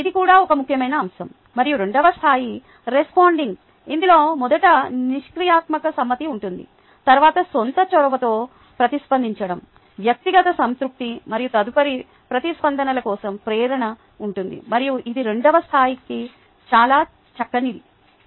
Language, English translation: Telugu, and the second level is responding, which includes passive compliance first, then responding with own initiative, personal satisfaction and motivation for further responses